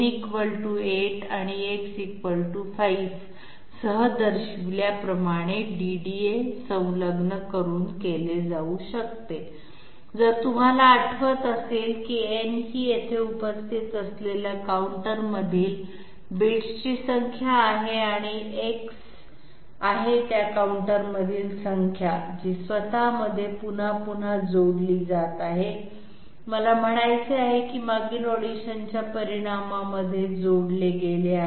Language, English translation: Marathi, This can be done by so a solution is being provided, this can be done by attaching a DDA has shown with n = 8 and X = 5, if you remember n is the number of bits inside the counters present here and X is the content of that counter, which is getting added to itself again and again okay, I mean added to the result of previous additions